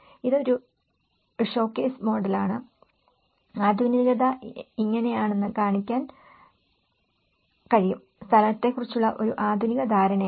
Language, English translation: Malayalam, It is a showcase model, that it can show that this is how the modernism, is a modernist understanding of the place